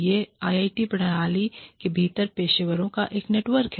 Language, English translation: Hindi, This is a network of professionals, within the IIT system